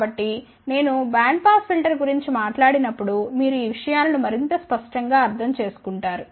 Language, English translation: Telugu, So, when I talk about band pass filter, then you will understand these things in more clear terms, ok